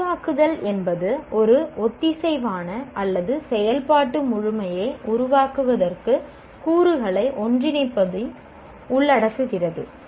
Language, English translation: Tamil, Create involves putting elements together to form a coherent or functional whole